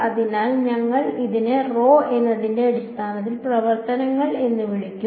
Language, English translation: Malayalam, So, we will call this as basis functions for what for rho